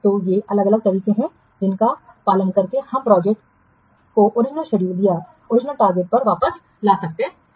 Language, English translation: Hindi, So how, what steps we can take to bring the project back to the original target